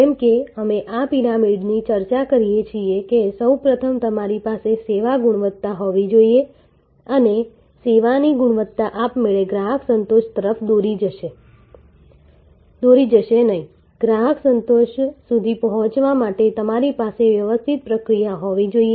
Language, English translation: Gujarati, As we discuss this pyramid that first of all you must have service quality and service quality will not automatically lead to customer satisfaction, you have to have a manage process to reach customer satisfaction